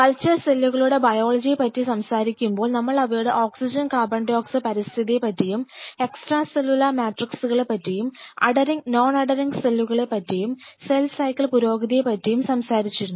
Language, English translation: Malayalam, So, talking about biology of the cultured cells, so, the point we have already dealt is oxygen and CO2 environment, whatever we are maintaining, we talked about extra cellular matrix and we talked about adhering and non adhering cells, then we talked about cell cycle progression